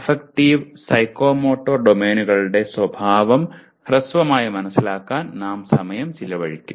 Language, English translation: Malayalam, But we will still present a brief overview of both affective and psychomotor domain